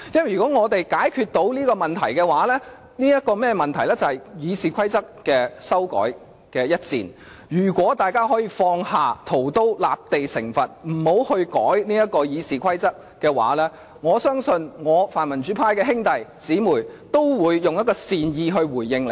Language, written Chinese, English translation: Cantonese, 如果在修改《議事規則》這一戰上，我們可以解決這個問題；如果大家可以放下屠刀，立地成佛，不修改《議事規則》的話，我相信泛民主派的兄弟姊妹會善意回應你們。, If we can resolve this problematic battle over the RoP amendment if we can drop our knives to become Buddha and stop short of amending the RoP I am sure all brothers and sisters from the pro - democracy camp will respond to you amicably